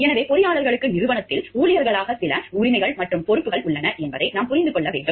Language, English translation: Tamil, So, we have to understand the engineers do have some rights and responsibilities in the organization as employees